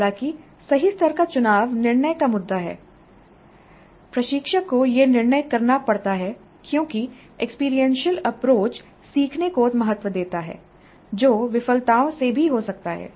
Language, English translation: Hindi, However the choice of what is the right level is an issue of judgment instructor has to make this judgment because experiential approach values learning that can occur even from failures